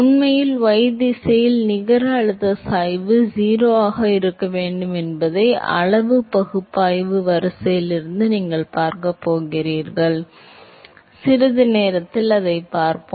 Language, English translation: Tamil, In fact, you going to see from order of magnitude analysis that the net pressure gradient in the y direction has to be 0, we will see that in a short while